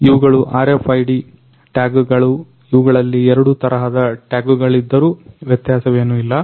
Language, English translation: Kannada, So, these are RFID tags all these tags these are two different types of tags, but although the thing is same